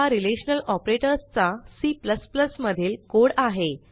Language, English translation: Marathi, Here is the code for relational operators in C++